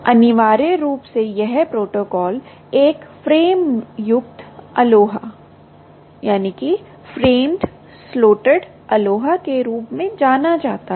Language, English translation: Hindi, essentially, this protocol adapts um what is known as a framed, framed, slotted, aloha